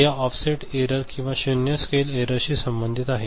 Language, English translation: Marathi, So, this is related to this offset error or zero scale error right